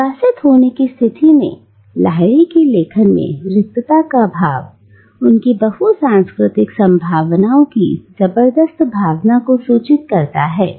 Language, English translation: Hindi, But, whereas the state of being an exile informs Lahiri’s writings with a sense of lack and loss, it also informs them with a tremendous sense of multicultural possibilities